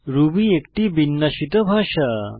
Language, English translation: Bengali, Ruby is free format language